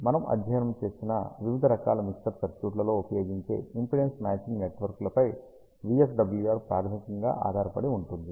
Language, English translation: Telugu, VSWR basically depends on the impedance matching networks that we use in various different kinds of mixer circuits that we have studied